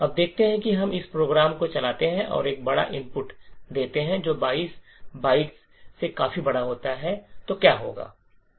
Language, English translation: Hindi, Now let us see what would happen when we run this program and give a large input which is much larger than 22 bytes